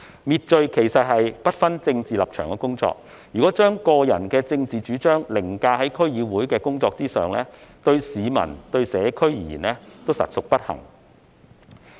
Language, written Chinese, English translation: Cantonese, 滅罪是不分政治立場的工作，如果把個人的政治主張凌駕於區議會的工作之上，對市民和社區而言，實屬不幸。, Crime fighting has nothing to do with political stances . It will be against the interests of the public and the community if any DC members put their own political views above the duties of DCs